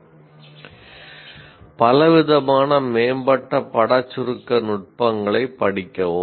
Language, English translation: Tamil, Study a variety of advanced image compression techniques